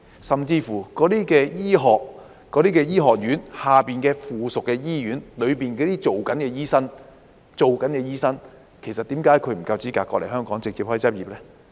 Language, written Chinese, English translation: Cantonese, 甚至在那些醫學院轄下的附屬醫院裏工作的醫生，為何他不夠資格來港直接執業呢？, Why are the doctors working in hospitals affiliated to these medical schools not qualified to come to Hong Kong to practise directly?